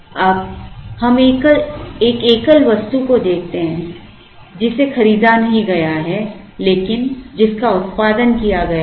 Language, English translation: Hindi, Now, let us look at a single item which is not bought out, but it is produced